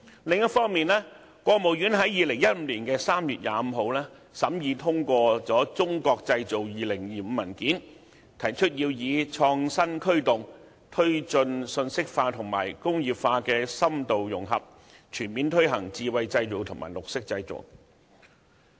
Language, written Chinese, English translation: Cantonese, 另一方面，國務院在2015年3月25日審議通過《中國製造2025》文件，提出要以創新科技，推進信息化與工業化深度融合，全面推行智慧製造和綠色製造。, On the other hand the State Council of China approved the document Made in China 2025 on 25 March 2015 . It is proposed that IT will be used to promote the deep integration of information and industrialization to fully implement intelligent manufacturing and green manufacturing